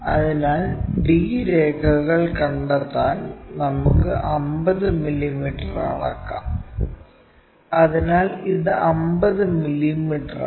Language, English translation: Malayalam, So, let us measure 50 mm to locate d lines, so this is 50 mm